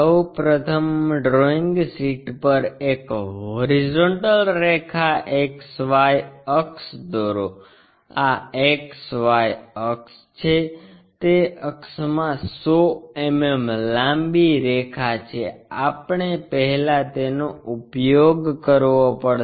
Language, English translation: Gujarati, First of all on the drawing sheet construct a horizontal line X Y axis, this is the X Y axis, in that axis 100 mm long we have to use first one